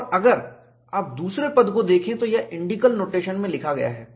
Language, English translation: Hindi, And if you look at the second term, this is written in indicial notation